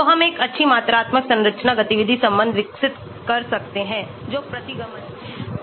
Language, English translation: Hindi, So, that we can develop a good quantitative structure activity relation that is the regression